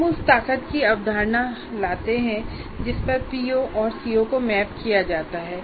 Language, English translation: Hindi, So what happens we bring in the concept of the strength to which a particular PO is mapped to a CO